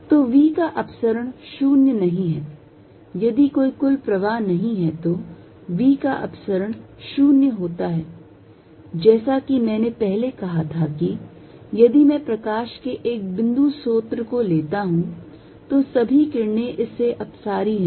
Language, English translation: Hindi, So, divergence of v not zero, if there is no net flow divergence of v is 0, as I said earlier if I take a point source of light, all the rates are diverging from it